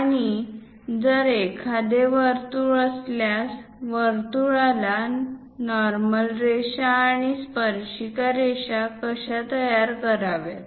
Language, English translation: Marathi, And if there is a circle how to construct normal lines and tangent lines to the circle